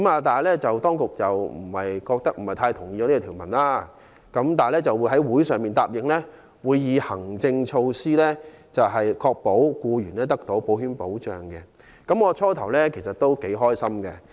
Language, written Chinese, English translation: Cantonese, 當局不同意我這項修正案，但答應會以行政措施確保僱員得到保險保障，我初時也很高興。, Though the authorities do not agree with this amendment they have undertaken to take administrative measures to ensure that employees will be covered by insurance . At first I was happy with its undertaking